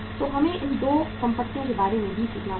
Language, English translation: Hindi, So we will have to learn about these 2 assets also